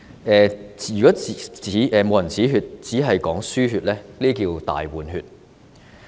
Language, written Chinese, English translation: Cantonese, 如果不"止血"，只是"輸血"，結果就是"大換血"。, If they have not stopped the bleeding and they have just resorted to blood transfusion there will be drastic blood exchange